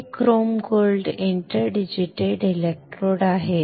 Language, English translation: Marathi, These are chrome gold interdigitated electrodes